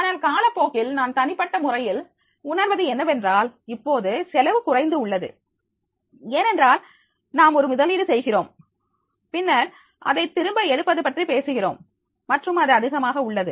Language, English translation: Tamil, But with the period of time what I feel personally that is the now cost has reduced because you have to make an investment but when we talk about the ROI return on investment and then that will be high